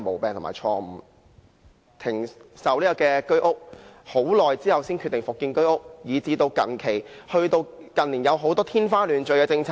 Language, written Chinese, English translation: Cantonese, 政府停售居屋，很長時間後才決定復建，以至近年有很多天花亂墜的政策。, The Government stopped selling flats under the Home Ownership Scheme HOS and decided to build new HOS flats only after a long while and recently it has put forward many fanciful policies